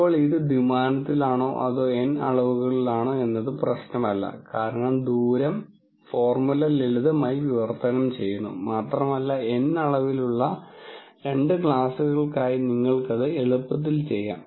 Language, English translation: Malayalam, Now, just as a quick note whether this is in two dimensions or N dimensions it really does not matter because the distance formula simply translates and you could have done that for two classes in N dimensions as easily